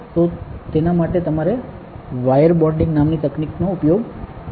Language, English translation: Gujarati, So, for that you need to use a technique called wire bonding ok